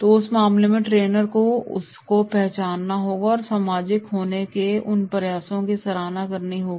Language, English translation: Hindi, So in that case that is Trainer must recognise and appreciate their efforts to be socialised